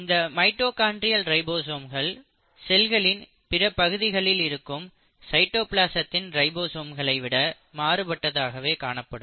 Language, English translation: Tamil, And these mitochondrial ribosomes are, mind you, are different from the ribosomes which will be seen in the cytoplasm of the rest of the cell